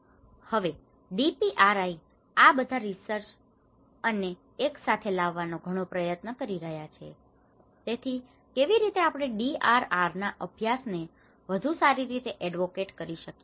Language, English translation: Gujarati, Now, the DPRI is taking an intense effort to bring all these researchers together so that how we can advocate the DRR practices in a much better way